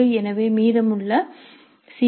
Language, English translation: Tamil, For example C